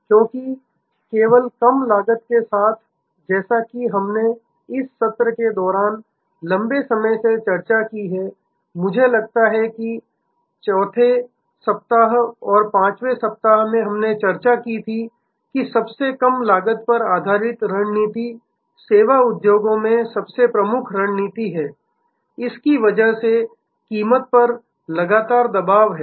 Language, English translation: Hindi, Because, only with costs low costs as we have discussed a long time back during this session, I think in the 4th week, 5th week we discussed, that the strategy based on lowest cost is appearing to be the most dominant strategy in service industries, because of this continuous pressure on price